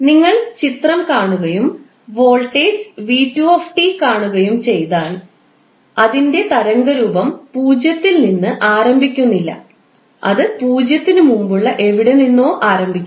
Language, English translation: Malayalam, If you see this particular figure and you see the voltage V2T, so its waveform is not starting from zero, it is starting from somewhere before zero